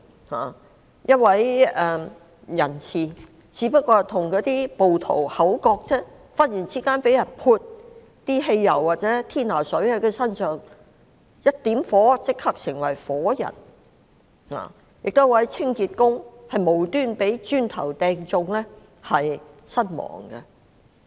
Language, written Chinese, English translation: Cantonese, 例如一位人士只是與暴徒口角，便忽然被人在身上淋潑汽油或天拿水甚麼的，點火後立即成為火人；亦有一名清潔工無辜被磚頭擊中身亡。, For example a person having a quarrel with rioters was suddenly splashed with gasoline or thinner and his entire body was then turned into a fireball when a fire was set on him . In another case an innocent cleaning worker was killed by a flying brick